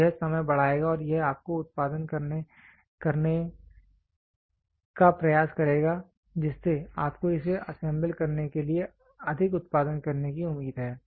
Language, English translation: Hindi, So, this will increase the time and it will also try to produce you are expected to produce more to make it assemble